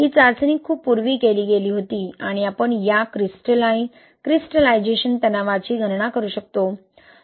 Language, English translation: Marathi, This test was done long time back and we can calculate this crystallization stress, okay